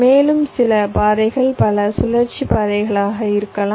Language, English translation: Tamil, ok, these are sometimes called multi cycle paths